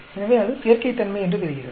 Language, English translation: Tamil, So, this seem to be additive